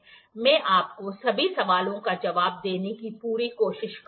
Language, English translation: Hindi, I will try my best to answer all your queries